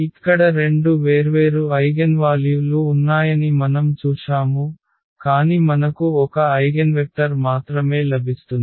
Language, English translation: Telugu, So, here we have seen there were two different eigenvalues, but we get only one eigenvector